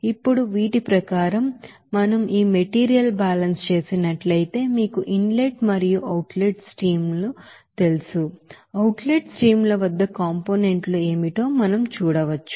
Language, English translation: Telugu, Now according to these, we can say that if we do this material balance of this you know inlet and outlet streams, we can see that at the outlet streams what are the components are there